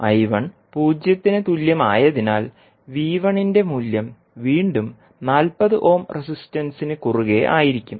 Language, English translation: Malayalam, Since, I1 is equal to 0, the value of V1 would be across again the 40 ohm resistance